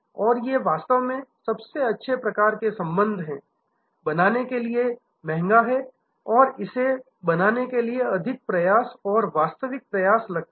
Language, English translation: Hindi, And these are actually the best type of relationship, the costliest to create and it takes more effort and genuine effort to build it